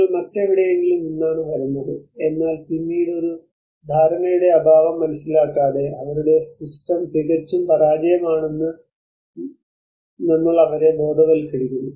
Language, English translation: Malayalam, You are coming from some other place, but then without understanding a lack of understanding we actually educate them that their system is not is absolutely a failure